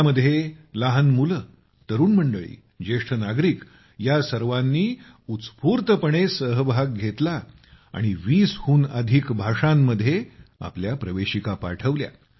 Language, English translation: Marathi, Children, adults and the elderly enthusiastically participated and entries have been sent in more than 20 languages